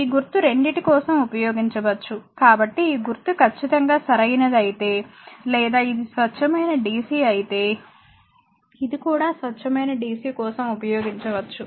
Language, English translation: Telugu, So, if you use this symbol also absolutely correct or if it is a pure dc then this one this one also can be used for a pure dc